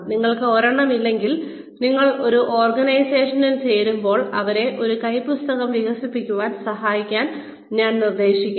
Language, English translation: Malayalam, If you do not have one, I suggest that, when you join an organization, you should help them, develop a handbook